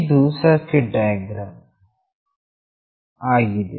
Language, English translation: Kannada, This is the circuit diagram